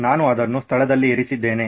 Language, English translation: Kannada, I have put it in place